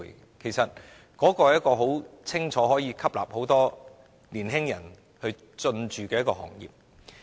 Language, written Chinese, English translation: Cantonese, 這其實是可以明顯吸納很多年輕人投身的行業。, In fact this industry can obviously attract the engagement of a lot of young people